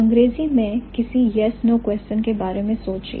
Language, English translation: Hindi, So, think about a yes no question in English